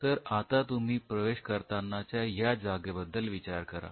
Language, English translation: Marathi, If you think of this zone where you were entering